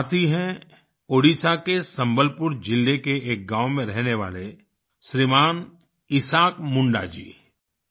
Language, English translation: Hindi, This friend Shriman Isaak Munda ji hails from a village in Sambalpur district of Odisha